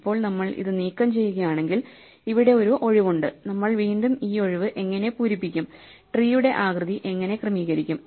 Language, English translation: Malayalam, Now, if we remove this there will be a vacancy now, what do we fill the vacancy again and how do we adjust the shape of the tree